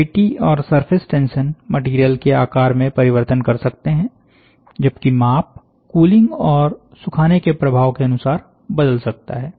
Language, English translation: Hindi, So, that is what the gravity surface tension; however, may cause the material to change shape, while size may vary, according to cooling and drying